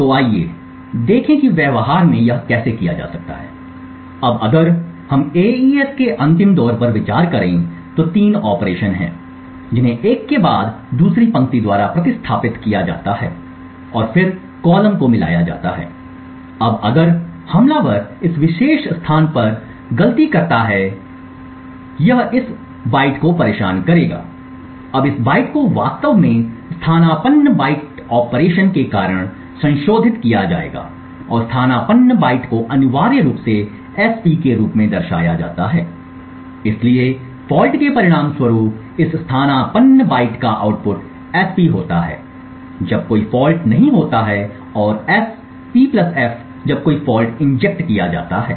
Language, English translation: Hindi, So let us see how this can be done in practice, now if we consider the last round of AES there are 3 operations one is substituted by followed by the shift row and then mix column, now if the attacker injects a fault at this particular location it would disturb exactly this byte, now this byte would actually be modified due to the substitute byte operation and substitute byte is essentially represented as S[P] , so as a result of the fault the output of this substitute byte is S[P] when there is no fault and S[P + f] when a fault is injected